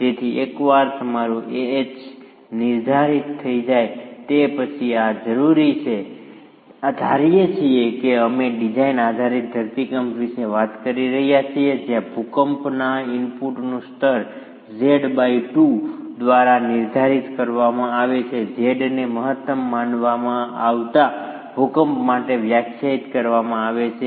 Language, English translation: Gujarati, So, this is required and once your AH is determined, assuming we are talking of the design basis earthquake where the level of earthquake input is determined by Z by 2, Z being defined for the maximum considered earthquake